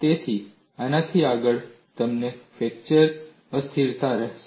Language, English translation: Gujarati, So, beyond this, you will have fracture instability